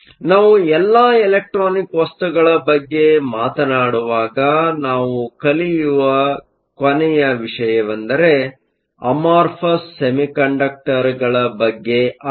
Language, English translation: Kannada, The last topic, that I want to cover when we are talking about electronic materials are Amorphous Semiconductors